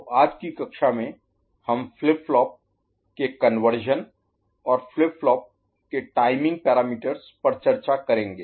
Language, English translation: Hindi, So, in today’s class, we shall discuss Conversion of Flip Flops, and Flip Flop Timing Parameters